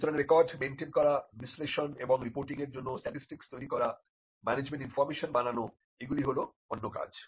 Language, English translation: Bengali, So, maintaining records generating management information and statistics for analysis and reporting is another function